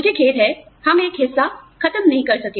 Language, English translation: Hindi, I am sorry, we could not finish, one part